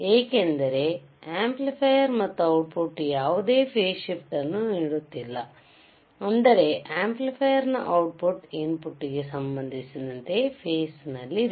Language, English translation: Kannada, Because amplifier and the output is not giving any phase shift; that means, output of the signal output signal or the signal at the output of the amplifier is in phase with respect to the input